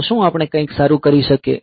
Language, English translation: Gujarati, So, can we do something better